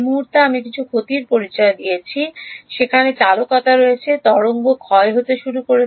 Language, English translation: Bengali, The moment I introduce some loss into the thing there is conductivity the wave begins to decay